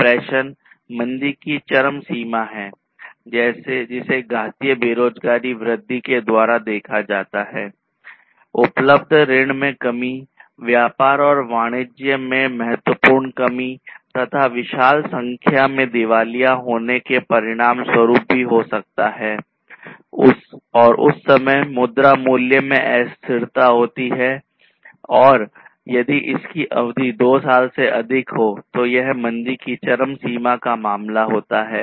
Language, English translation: Hindi, Depression is the extremity of recession, which is observed by exponential unemployment increase, reduction in available credit, significant reduction in trade and commerce and huge number of bankruptcies might also consequently happen and there is volatility in currency value and the duration is more than two years and this is basically the extreme case of recession